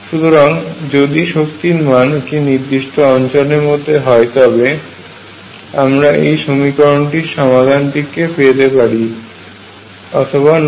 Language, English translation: Bengali, So, only if energy is in certain regions that I can find the solution for this equation, otherwise no